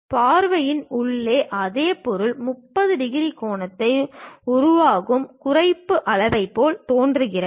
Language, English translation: Tamil, Inside view the same object looks like a reduce scale making 35 degrees angle